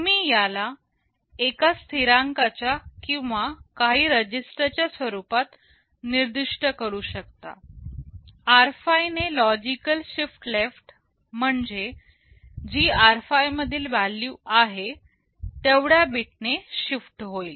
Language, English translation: Marathi, You can specify this as a constant or you can also specify some register, logical shift left by r5; whatever is the value in r5 that many bits will be shifted